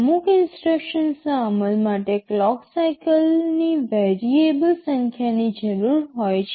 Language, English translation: Gujarati, : Certain instructions require variable number of clock cycles for execution